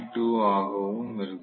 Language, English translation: Tamil, This comes out to be 4